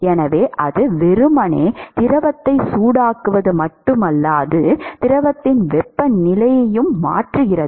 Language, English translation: Tamil, So, it is not just that it is simply being heating the fluid, but the temp the fluid is also moving